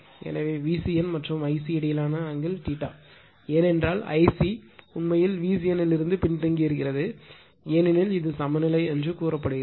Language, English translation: Tamil, So, angle between V c n and I c is theta , because I c actually current is lagging from this one because it is balance say you have taken balance